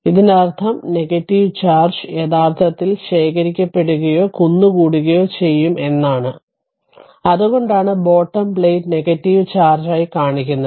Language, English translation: Malayalam, This means that negative charge actually will be accumulated or will be collected, in this your what you call bottom plate that is why it is shown minus, minus, minus, then your negative charge